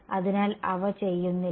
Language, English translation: Malayalam, So, they do not